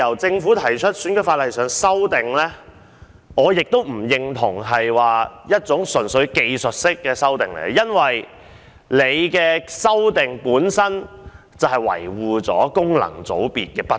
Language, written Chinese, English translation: Cantonese, 政府提出的《條例草案》，我不認為純屬是技術修訂，因為修訂本身就維護了功能界別的不義。, Concerning the Bill proposed by the Government I do not consider the amendments to be purely technical in nature because the purpose of the amendments is to maintain the injustice of FCs